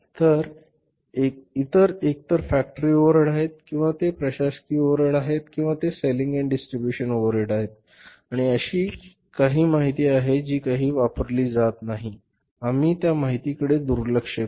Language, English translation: Marathi, So, others are either the factory overheads or they are administrative overheads or they are selling and distribution overheads and there is some information which is of not at all of our use so we will ignore that information